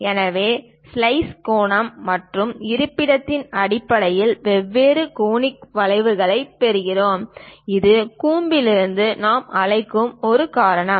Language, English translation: Tamil, So, based on the slice angle and location, we get different conic curves; that is a reason we call, from the cone